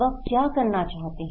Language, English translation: Hindi, What they want to do